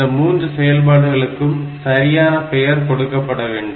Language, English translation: Tamil, We should give some proper name to these 3 operations